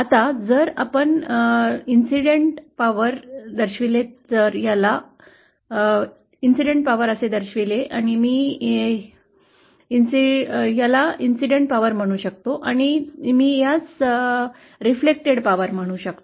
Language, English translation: Marathi, Now, if we represent this incident power so this I can call incident power and this I can call the reflected power